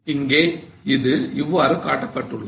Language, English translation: Tamil, Now it is depicted in this fashion